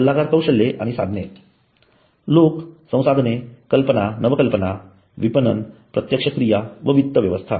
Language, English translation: Marathi, So consulting skills and tools the people resources, ideas and innovation, marketing operations and finance